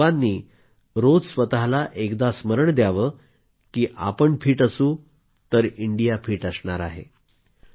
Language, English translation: Marathi, Remind yourself every day that if we are fit India is fit